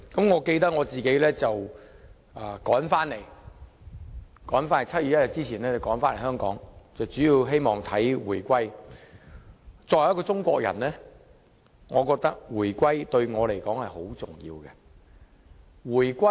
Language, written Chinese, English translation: Cantonese, 我記得我趕在1997年7月1日前回來香港，主要是希望見證回歸。作為中國人，我覺得回歸對我很重要。, I remember that I hurried back to Hong Kong before 1 July 1997 mainly because I wanted to witness Hong Kongs return to China which was very important to me as a Chinese